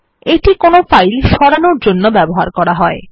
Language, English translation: Bengali, This is used for moving files